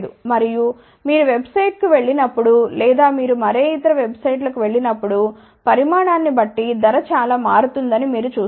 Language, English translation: Telugu, And, you will see that when you go to the website or you go to any other website, you will actually see that the price changes a lot depending upon the quantity